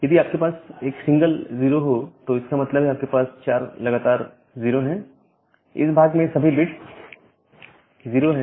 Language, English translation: Hindi, So, if, you have a single 0 that means, you have 4 consecutive 0, so all the bits in that part are 0’s